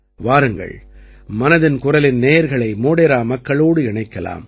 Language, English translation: Tamil, Let us also introduce the listeners of 'Mann Ki Baat' to the people of Modhera